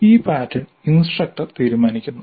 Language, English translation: Malayalam, This is the pattern that is decided by the instructor